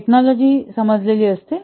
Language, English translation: Marathi, Technology is understood